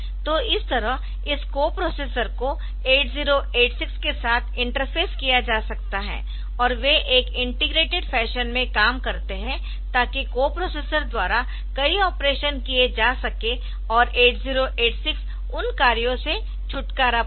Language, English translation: Hindi, So, this way this co processor can be interfaced with 8086 and they work in an integrated fashion, so that many of the operations are done by the co processor and 8086 is relieved of those operations